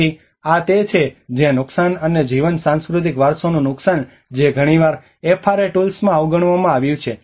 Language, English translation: Gujarati, So this is where the loss and life, loss of cultural heritage which has been often neglected in the FRA tools